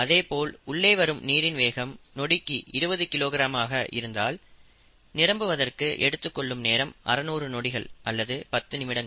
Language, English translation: Tamil, If the input rate is twenty kilogram per second, the time taken would be six hundred seconds or ten minutes